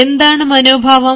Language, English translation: Malayalam, now, what is an attitude